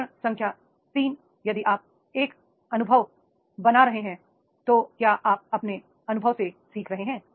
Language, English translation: Hindi, Step number three, that is the if you are making an experience, are you learning from your experience